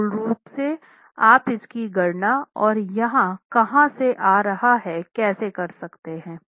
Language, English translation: Hindi, So, basically how can you calculate that and where is it coming from